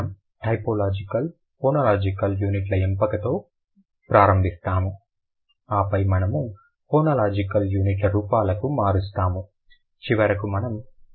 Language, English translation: Telugu, We'll start with the choice of phonological units, then we'll move to the forms of phonological units and finally we'll go to the order phonological units